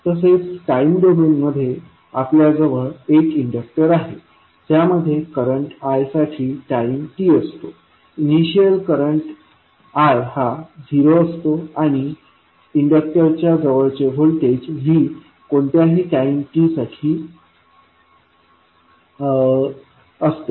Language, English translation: Marathi, So, if you see in time domain we have a inductor which is carrying some current I at any time t with initial current as i at 0 and voltage across inductor is v at any time t